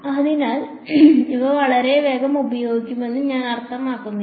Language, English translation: Malayalam, So, it is not I mean these will be used very soon